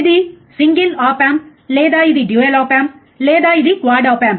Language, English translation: Telugu, It is single op amp or it is a dual op amp or it is in quad op amp